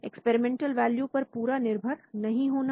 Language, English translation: Hindi, No reliance on experimental values